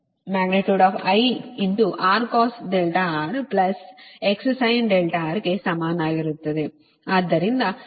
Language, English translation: Kannada, right, so that is the